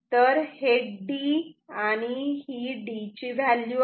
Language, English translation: Marathi, So, this is D and here I have D bar